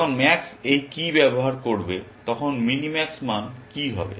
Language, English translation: Bengali, What is going to be the mini max value when max uses this key